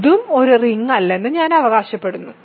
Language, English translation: Malayalam, I claim this is also not a ring